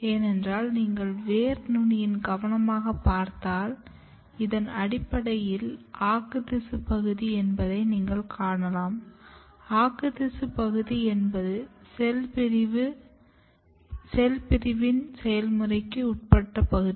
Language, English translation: Tamil, Because if you look the root tip carefully, so, in this picture, you can see this is the region which is basically the meristematic region; meristematic region is the region which undergo the process of cell division mostly